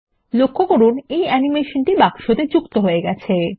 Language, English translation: Bengali, Notice, that this animation has been added to the box